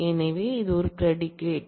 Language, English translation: Tamil, So, this is a predicate